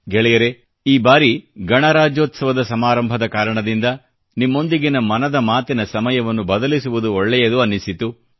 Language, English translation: Kannada, Friends, this time, it came across as appropriate to change the broadcast time of Mann Ki Baat, on account of the Republic Day Celebrations